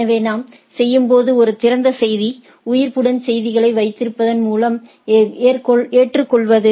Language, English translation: Tamil, So, when we do is a open message, acceptance through keep alive messages